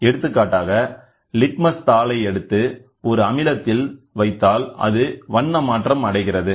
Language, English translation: Tamil, For example, if you take the litmus sheet and put it inside an acid or base the colour changes